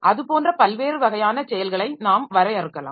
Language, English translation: Tamil, So, like that we can have different types of actions defined